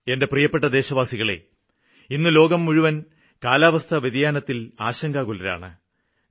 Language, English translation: Malayalam, My dear countryman, the entire world is worried about climate change